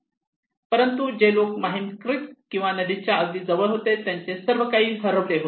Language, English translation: Marathi, But people who are close to the Mahim Creek or river they lost everything